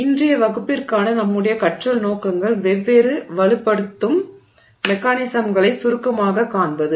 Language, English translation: Tamil, So, our learning objectives for today's class are to briefly look at a different strengthening mechanisms